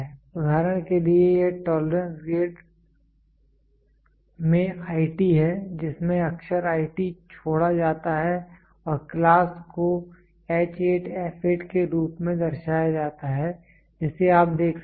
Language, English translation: Hindi, So for example, it is IT in the tolerance grade the letter IT are omitted and the class is represented as H8 f 6 you can represent see